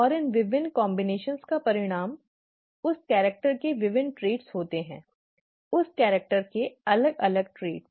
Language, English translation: Hindi, And these different combinations result in different traits of that character; different yeah different traits of that character